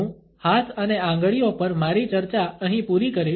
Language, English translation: Gujarati, I would conclude my discussion of hands and fingers here